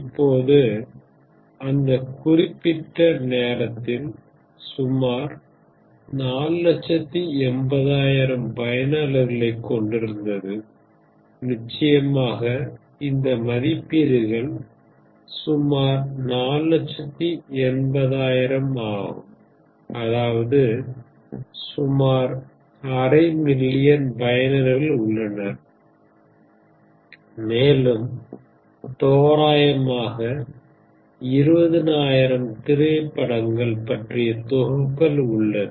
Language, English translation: Tamil, Now, of course, at that point it at about 480000 users and now of course, these ratings were about 480000, that is roughly half a million users, approximately half a million users for 17770 that is approximately 20000 movies